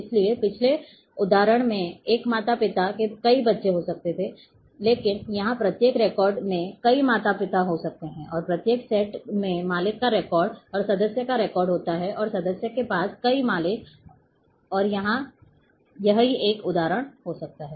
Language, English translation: Hindi, So, that’s the difference in previous example a parent can have a multiple children, but here each record can have multiple parents, and composed of sets each set has owner record and member record and member have several owners and the same example